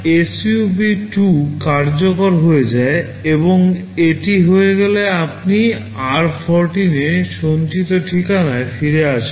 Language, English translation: Bengali, MYSUB2 gets executed and once it is done, you return back to the address stored in r14